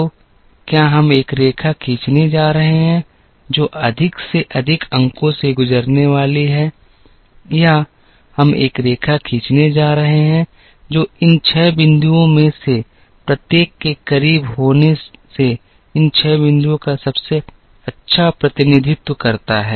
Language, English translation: Hindi, So, are we going to draw a line, which is going to pass through, maximum number of points or are we going to draw a line, which kind of best represents these 6 points by being as close to each of these 6 points as possible